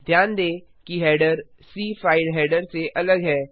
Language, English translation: Hindi, Notice that the header is different from the C file header